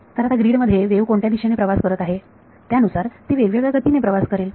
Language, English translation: Marathi, So, now the wave travels at different speeds depending on which direction it is travelling in the grid